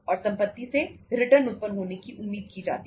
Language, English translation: Hindi, And property is expected to generate the return